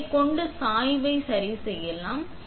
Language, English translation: Tamil, You can adjust the tilt with this too